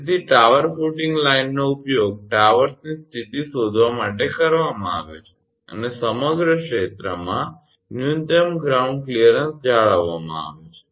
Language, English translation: Gujarati, So, tower footing line is used for locating the position of towers and minimum ground clearance is maintained throughout